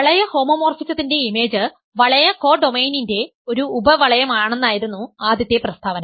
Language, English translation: Malayalam, First statement was that image of a ring homomorphism is a subring of the ring codomain, which we have proved